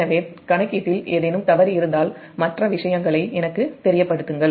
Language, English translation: Tamil, so if there is any mistake in calculation other things, just let me know